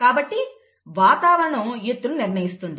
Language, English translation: Telugu, So the environment is determining the height